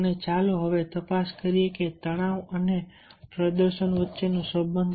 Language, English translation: Gujarati, and let us now examine the relationship between stress and performance